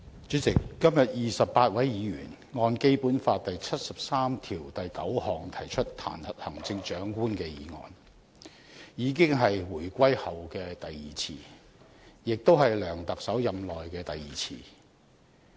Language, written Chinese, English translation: Cantonese, 主席，今天28位議員按照《基本法》第七十三條第九項提出彈劾行政長官的議案，這已是回歸後的第二次，也是梁特首任內的第二次。, President today 28 Members initiated a motion to impeach the Chief Executive under Article 739 of the Basic Law . This is the second impeachment motion initiated since the reunification and also the second impeachment against Chief Executive C Y LEUNG during his term of office